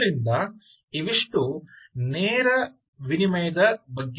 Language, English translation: Kannada, so lets open direct exchange